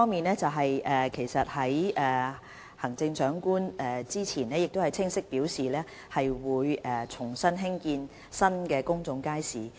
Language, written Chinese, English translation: Cantonese, 第一，行政長官早前已清楚表明會重新興建新公眾街市。, First the Chief Executive stated clearly earlier that the construction of public markets would be resumed